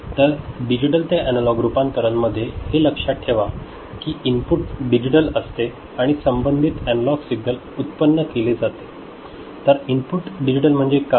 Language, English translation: Marathi, So, remember for a digital to analog conversion, the input is digital right and corresponding analog signal is to be generated